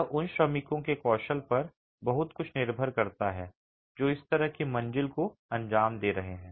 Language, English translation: Hindi, It depends a lot on the skill of the workmen who is executing this sort of a flow